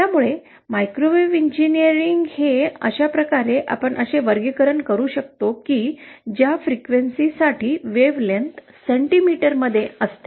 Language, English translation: Marathi, So microwave engineering is more or less this is how we can classify that those range of frequencies for which wavelength remains in centimetre